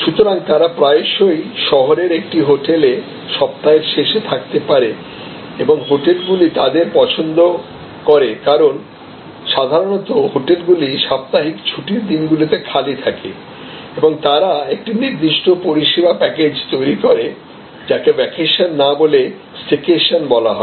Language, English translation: Bengali, So, they may take a week end often stay in a hotel in the city and hotels love them, because normally hotels run lean during the weekends and they create a particular service package, which is often called a staycation that as suppose to vacation